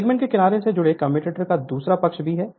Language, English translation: Hindi, Another side of the commutator connected to segment side b right